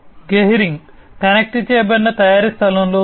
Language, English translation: Telugu, Gehring is in the space of connected manufacturing